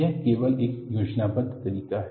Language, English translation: Hindi, This is only a schematic